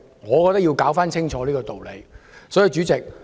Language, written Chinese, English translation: Cantonese, 我覺得要搞清楚這個道理。, I think it is important to make sense of the logic